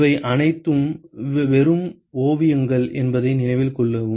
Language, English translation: Tamil, Note that all these are just sketches